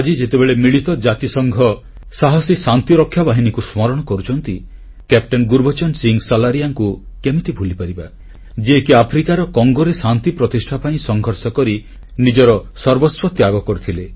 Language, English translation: Odia, While remembering our brave UN Peacekeepers today, who can forget the sacrifice of Captain Gurbachan Singh Salaria who laid down his life while fighting in Congo in Africa